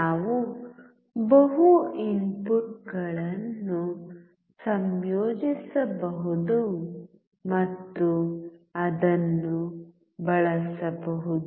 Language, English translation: Kannada, We can combine the multiple inputs and use it